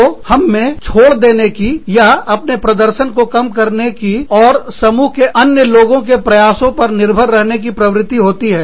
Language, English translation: Hindi, So, we have a tendency, to give away, or reduce our performance, and rely on the efforts of others, in the group